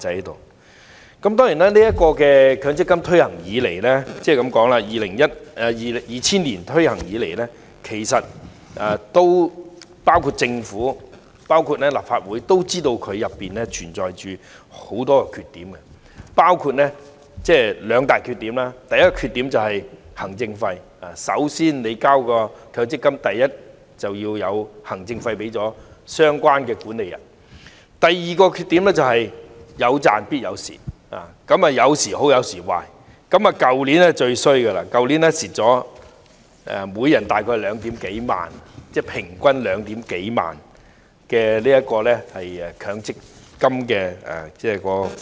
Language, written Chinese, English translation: Cantonese, 當然，強積金制度自2000年推行以來，政府和立法會也知道該制度存在很多缺點，其中有兩大缺點：第一，是行政費，市民的強積金供款必須先支付行政費予相關的管理人；第二，是"有賺必有蝕"，有時好，有時壞，去年情況最差，每人平均虧蝕2萬多元強積金供款。, Certainly since the implementation of MPF in 2000 the Government and the legislature have been aware of many shortcomings of the system including two major ones . Firstly scheme members have to pay management fees to the relevant fund managers to handle their benefits . Secondly scheme members may make profit or loss because investment returns fluctuate